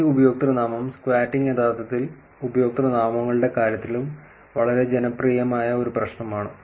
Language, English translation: Malayalam, This username squatting is actually pretty popular problem in terms of the usernames also